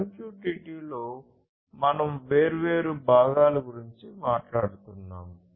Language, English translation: Telugu, In MQTT we are talking about different components